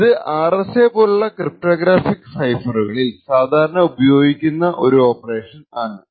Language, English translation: Malayalam, It is a very common operation that is used for cryptographic ciphers like the RSA